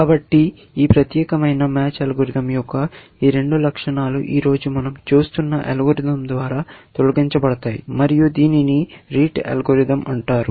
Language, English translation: Telugu, So, these two properties of this particular match algorithm are done away with by the algorithm that we are looking at today, and it is called the Rete algorithm